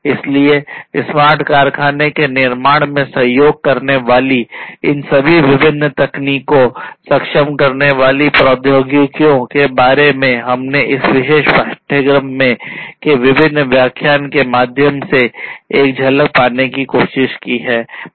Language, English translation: Hindi, So, all these different technologies the enabling technologies for building smart factories, this is what we are trying to get a glimpse of through the different lectures of this particular course